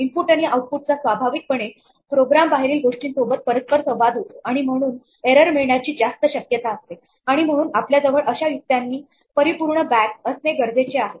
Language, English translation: Marathi, Input and output inherently involves a lot of interaction with outside things outside the program and hence is much more prone to errors and therefore, is useful to be able have this mechanism within our bag of tricks